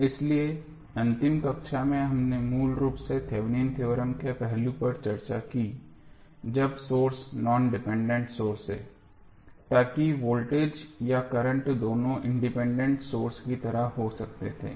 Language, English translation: Hindi, So, in the last class we basically discussed the Thevenin theorem aspect when the source is non dependent source, so that can be like voltage or current both were independent sources